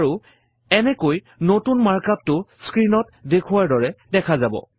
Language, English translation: Assamese, And, thus the new mark up looks like as shown on the screen